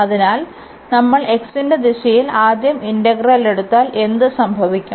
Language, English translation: Malayalam, So, in this direction if we take the integral first in the direction of x what will happen